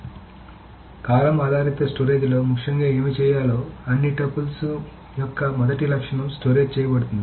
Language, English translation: Telugu, So in column based storage, what is essentially done is that the first attribute of all the tuples are stored